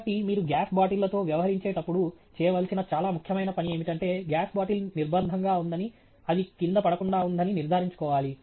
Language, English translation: Telugu, So, therefore, a very important thing to do when you are dealing with gas bottles is to ensure that the gas bottle is constrained, restrained such that it cannot fall down